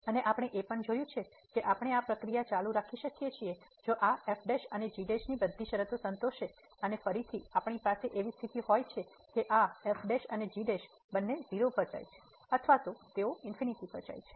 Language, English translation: Gujarati, And we have also seen that we can continue this process provided that all the conditions on this prime and prime satisfies and again we have the situation that this prime and prime both they go to 0 or they go to infinity